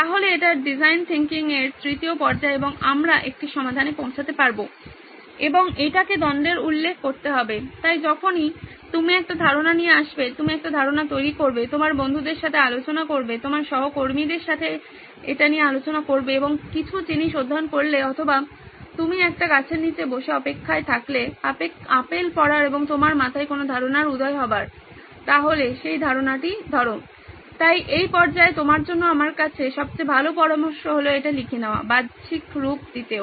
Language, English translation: Bengali, So this is the third phase of design thinking and we are going to embark on a solution and this has to address the conflict so whenever you come up with an idea, you generate an idea, discussing with your friends, discussing it with your colleagues, looking at reading up some material or you sitting under a tree and waiting for the apple to fall and an idea pops into your head, so be it grab that idea, the best piece of advice I have for you at this stage is to write it out, to externalize too